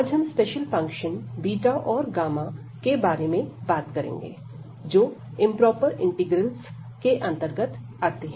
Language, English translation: Hindi, And today we will be talking about some special functions beta and gamma which fall into the class of these improper integrals